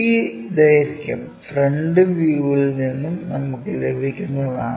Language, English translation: Malayalam, Because this length we will be in a position to get it from the front view